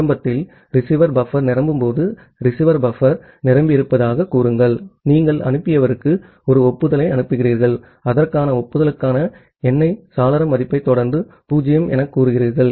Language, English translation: Tamil, Initially, say the receiver buffer is full when the receiver buffer is full, you are sending an acknowledgement to the sender saying that the acknowledgement the corresponding acknowledgement number followed by the window value as 0